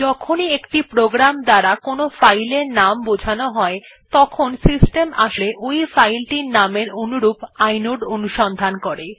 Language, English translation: Bengali, Whenever a program refers to a file by name, the system actually uses the filename to search for the corresponding inode